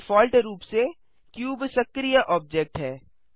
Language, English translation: Hindi, By default, the cube is the active object